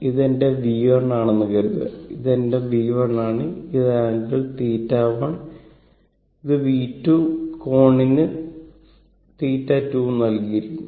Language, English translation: Malayalam, Suppose this is my V 1, I want to add your this is my V 1, it is the angle theta one and this is by V 2, and angle it is given theta 2